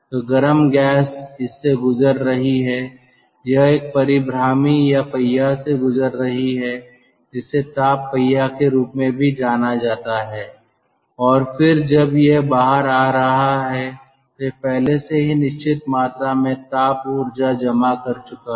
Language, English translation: Hindi, it is passing through the ah, through the, a rotary regenerator or wheel, which is also known as heat wheel, and then when it is coming out it has already deposited certain amount of thermal energy